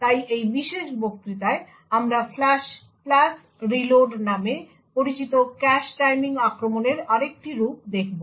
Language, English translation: Bengali, So, in this particular lecture we will be looking at another form of cache timing attacks known as the Flush + Reload